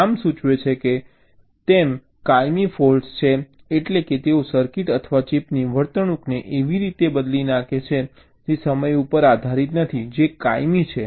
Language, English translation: Gujarati, the permanent faults: as the name implies, they are permanent means they change the behaviour of a circuit or a chip in a way which is not dependent on time, which is permanent